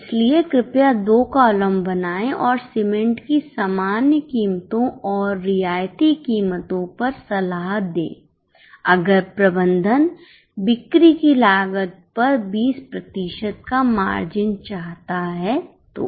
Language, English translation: Hindi, So, please make two columns and advice on normal cement prices and concessional prices if management desires a margin of 20% on cost of sales